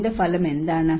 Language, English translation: Malayalam, What is the outcome of this